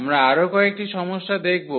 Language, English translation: Bengali, So, we consider few more problems